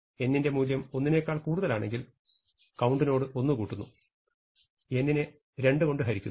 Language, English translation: Malayalam, While n is bigger than 2, I will divide by 2 and add 1 to count